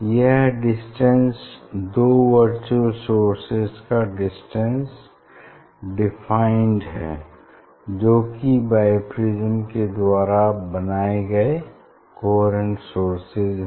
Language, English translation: Hindi, that distance this is defined distance between the virtual image a virtual image ok, which are the coherent source formed by the bi prism